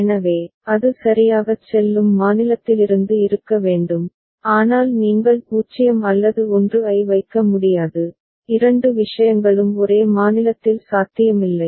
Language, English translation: Tamil, So, it has to be from the state in which it goes into right, but you cannot put 0 or 1, both the things are not possible in one state